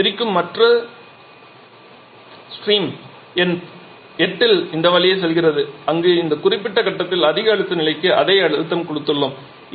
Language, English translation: Tamil, This is the low pressure steam and the other stream that we are separating here that is going by this route at point number 8 where we have the pressurized it to much higher pressure level at this particular point